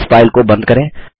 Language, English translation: Hindi, Lets close this file